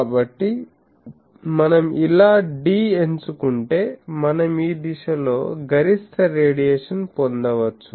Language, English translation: Telugu, So, if we choose d like this, we can get maximum radiation in direction